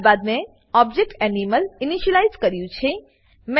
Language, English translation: Gujarati, I have then initialized the object Animal